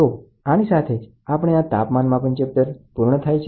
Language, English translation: Gujarati, So, with this, we come to the end of this chapter on temperature measurement